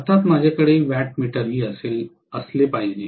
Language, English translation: Marathi, Of course I have to have a wattmeter also